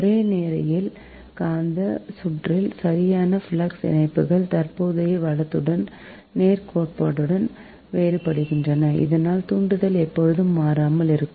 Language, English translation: Tamil, in a linear magnetic circuit, right, flux linkages vary linearly with the current right, such that the inductance always remain constant, right